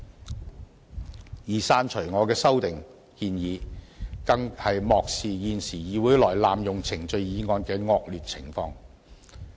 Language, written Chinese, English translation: Cantonese, 至於刪除我的修訂建議，更是漠視現時議會內濫用程序議案的惡劣情況。, The deletion of my proposed amendment indicates opposition Members disregard of the serious problem in the present Legislative Council where Members move motions to disrupt the procedure